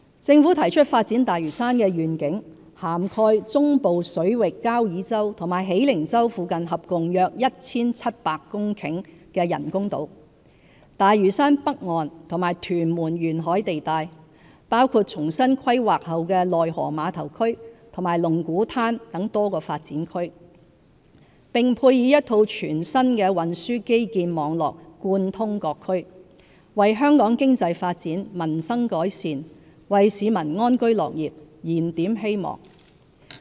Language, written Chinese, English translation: Cantonese, 政府提出發展大嶼山的願景，涵蓋中部水域交椅洲和喜靈洲附近合共約 1,700 公頃的人工島、大嶼山北岸和屯門沿海地帶，包括重新規劃後的內河碼頭區和龍鼓灘等多個發展區；並配以一套全新的運輸基建網絡貫通各區，為香港經濟發展、民生改善，為市民安居樂業燃點希望。, The Governments vision for the development of Lantau covers the development areas at artificial islands with a total area of about 1 700 hectares near Kau Yi Chau and Hei Ling Chau in the Central Waters North Lantau as well as the coastal areas of Tuen Mun including the River Trade Terminal after re - planning and Lung Kwu Tan to be supported by a new set of transport networks connecting various development areas . The vision aims to instil hope among Hong Kong people for economic progress improve peoples livelihood and meet their housing and career aspirations